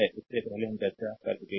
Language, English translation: Hindi, That we have discussed before, right